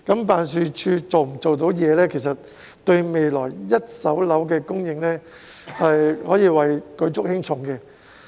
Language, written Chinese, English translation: Cantonese, 辦事處的工作表現，對未來一手樓的供應可謂舉足輕重。, The performance of the Office thus plays a decisive role in the future supply of first - hand residential properties